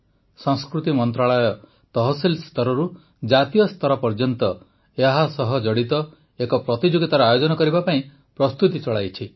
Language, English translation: Odia, The Culture Ministry is geared to conduct a competition related to this from tehsil to the national level